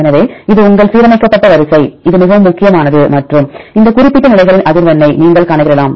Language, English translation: Tamil, So, this is your aligned sequence, which are really significant and you can calculate the frequency of that particular positions